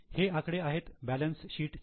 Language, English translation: Marathi, Now this is the figures in balance sheet